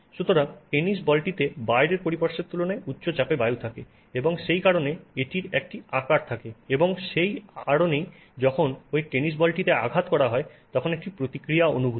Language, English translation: Bengali, So, in the tennis ball you actually have air at high pressure relative to what is outside and that is why the ball has some shape and that is why you when you hit it you feel a certain reaction from the ball etc